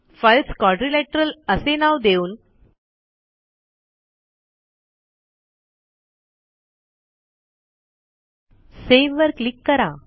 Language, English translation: Marathi, I will type the filename as quadrilateral click on Save